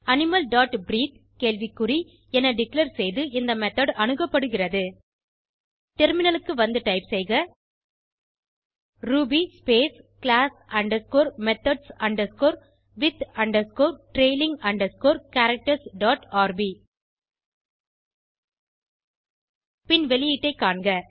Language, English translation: Tamil, The method gets invoked by declaring animal dot breathe question mark Switch to the terminal and type ruby space class underscore methods underscore with underscore trailing underscore characters dot rb and see the output